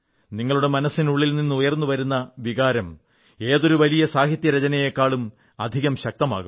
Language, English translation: Malayalam, Emotions that emanate from the core of your heart will be more compelling than any great literary composition